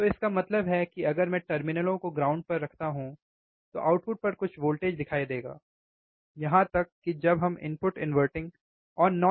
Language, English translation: Hindi, So that means, that if I ground by the terminals, I will see some voltage at the output, even when we apply similar currents to the input terminals inverting and non inverting terminals